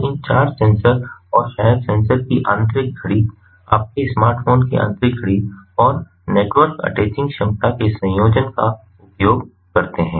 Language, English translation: Hindi, so, using a combination of these four sensors and maybe the internal clock of the sensors, internal clock of your smartphone and the network attaching capability